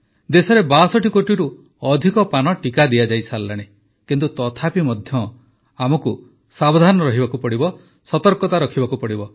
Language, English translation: Odia, More than 62 crore vaccine doses have been administered in the country, but still we have to be careful, be vigilant